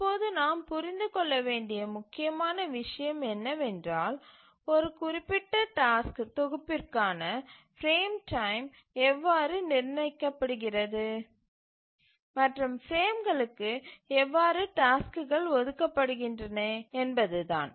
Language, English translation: Tamil, Now the important thing that we must understand is that how is the frame time set for a given task set and how are tasks assigned to frames